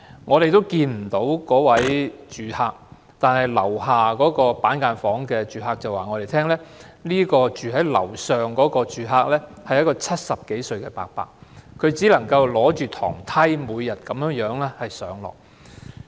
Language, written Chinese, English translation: Cantonese, 我們看不到該名住客，但"樓下"板間房住客對我們說"樓上"的住客是一位70多歲的伯伯，他每天只靠一把樓梯上落房間。, We did not see the tenant of that apartment but according to the tenant occupying the cubicle apartment underneath the occupier was an old man aged over 70 and he had to climb up and down his apartment every day with a ladder